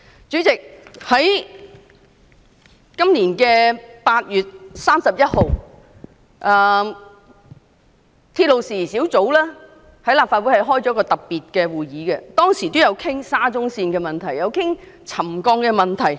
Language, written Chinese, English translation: Cantonese, 主席，今年8月31日，立法會鐵路事宜小組委員會曾舉行特別會議，當時討論到沙中線的沉降問題。, President the Subcommittee on Matters Relating to Railways of the Legislative Council held a special meeting on 31 August this year during which the settlement problems of SCL were discussed